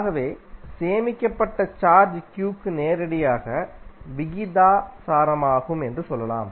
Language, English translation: Tamil, So, can say that q that is stored charge is directly proposnal to v